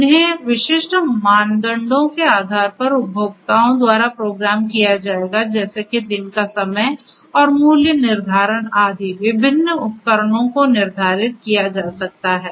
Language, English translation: Hindi, They will be programmed by the consumers depending on the specific criteria such as the time of the day and the pricing etcetera etcetera different different appliances could be scheduled